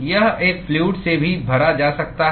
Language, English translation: Hindi, It could even be filled with a liquid